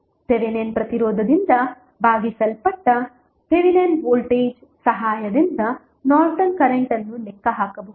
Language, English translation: Kannada, Norton's current can be calculated with the help of Thevenin's voltage divided by Thevenin resistance